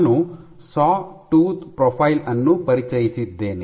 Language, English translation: Kannada, One I introduced Sawtooth Profile